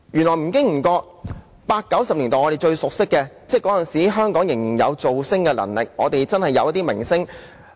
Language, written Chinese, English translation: Cantonese, 在八九十年代，我們有最熟悉的明星，當時香港仍有"造星"的能力，我們真的有一些明星。, In the eighties and nineties we have the movie stars whom we knew so well . Then Hong Kong still had the ability to make stars . We really did have some very bright stars